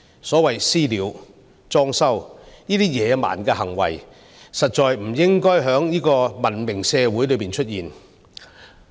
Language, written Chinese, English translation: Cantonese, 所謂"私了"、"裝修"等野蠻的行為，實在不應該在文明社會中出現。, We should not allow barbarous acts like vigilantism and vandalism to be adopted in a civilized society